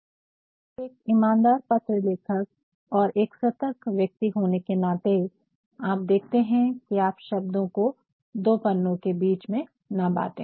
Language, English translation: Hindi, Hence as sincere letter writers and careful beings in the business world, you will see to it that you do not divide individual words between pages